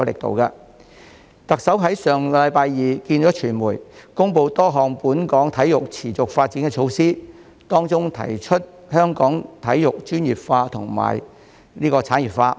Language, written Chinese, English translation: Cantonese, 特首於上星期二與傳媒會面，公布多項本港體育持續發展措施，當中提出將香港體育專業化和產業化。, The Chief Executive met with the media last Tuesday to announce a number of measures to sustain the development of sports in Hong Kong including the professionalization and industrialization of sports in Hong Kong